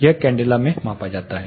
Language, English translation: Hindi, This is measured in candela